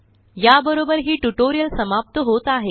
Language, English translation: Marathi, Thats all we have in this tutorial